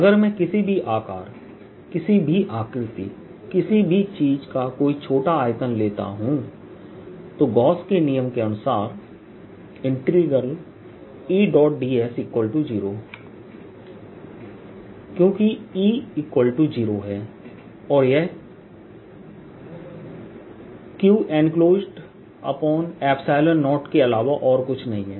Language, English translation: Hindi, if i take any small volume of any size, any shape, any things, then by gauss's law integral d, e, dot, d, s, since e zero, zero and this is nothing but q enclosed by epsilon zero